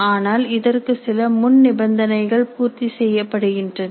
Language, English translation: Tamil, But this would require that certain prerequisites are made